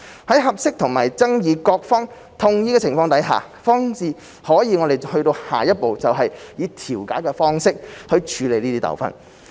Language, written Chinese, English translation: Cantonese, 在合適和爭議各方同意的情況下，方可進下一步以調解的方式處理糾紛。, The disputes may only be further settled by mediation where appropriate and with the consent of all the disputing parties concerned